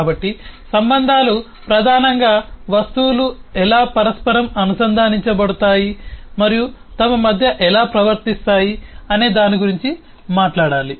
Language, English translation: Telugu, so the relationship primarily has to talk about how the objects can get interconnected and behave between themselves